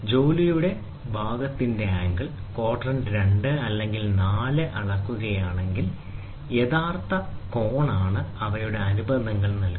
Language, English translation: Malayalam, If the angle of the work part are being measured in quadrant 2 or 4 the actual angle are given by their supplements